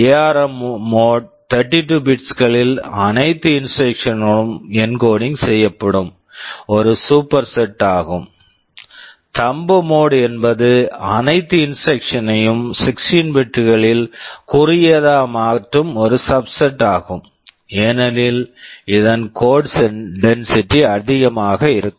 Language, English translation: Tamil, ARM mode is a superset where all instruction are encoding in 32 bits, Thumb mode is a subset of that where you make all the instructions shorter in 16 bits because of which code density will be higher